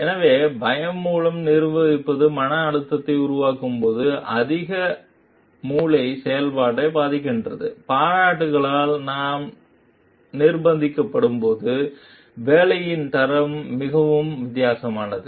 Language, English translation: Tamil, So, while managing through fear generate stress, which impairs higher brain function, the quality of work is vastly different when we are compelled by appreciation